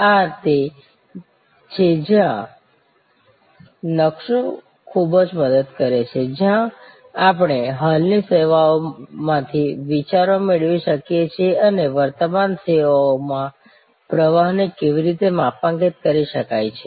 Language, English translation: Gujarati, This is where the blue print is of immense help, where we can draw ideas from existing services and how the flow can be mapped in existing services